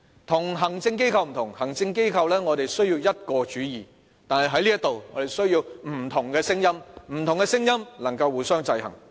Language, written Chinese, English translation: Cantonese, 與行政機構不同，行政機構需要一個主意，但在這裏，我們需要不同的聲音，不同的聲音能夠互相制衡。, The legislature is unlike the executive in the sense that the latter must make a single decision but here in the legislature we need the expression different voices to achieve checks and balances